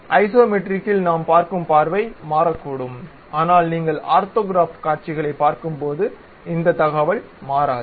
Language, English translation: Tamil, At Isometric, Dimetric the view what we are seeing might change, but when you are going to look at orthographic views these information hardly changes